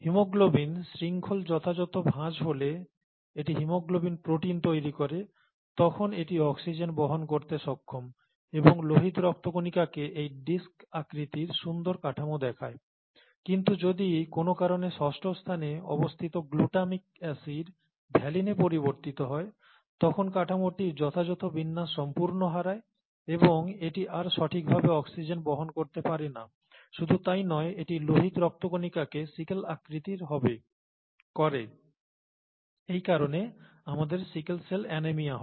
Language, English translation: Bengali, And if the appropriate folding of the haemoglobin chain leads to the haemoglobin protein when it folds properly, then it is able to carry oxygen and the red blood cells looks nice and clean like this disc shaped structure, whereas if in the sixth position the glutamic acid gets changed to valine for some reason, then the structure entirely goes out of proper orientation and it is no longer able to carry oxygen properly, not just that it makes the shape of the red blood cells sickle shaped, and we get sickle cell anaemia because of this